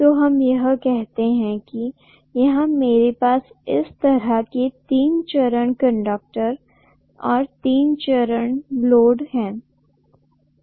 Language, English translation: Hindi, So let us say I have the three phase conductors like this and here is my three phase load